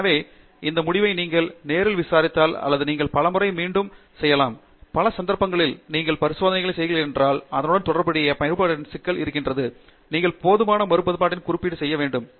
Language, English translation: Tamil, So, you should ask yourself if this result is a onetime affair or you can actually repeatedly do it and in many times, on many occasions when you are performing experiments there is a repeatability issue associated with it, you should have done enough repeatability analysis